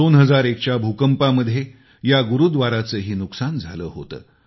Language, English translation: Marathi, During the 2001 earthquake this Gurudwara too faced damage